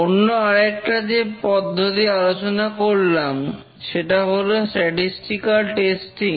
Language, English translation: Bengali, The second approach we discussed was statistical testing